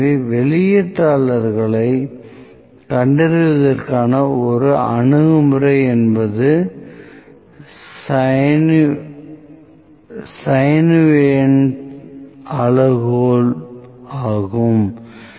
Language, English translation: Tamil, So, one approach to detecting the outlier is Chauvenet’s criterion, ok